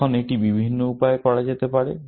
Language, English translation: Bengali, Now, that can be done in a various number of ways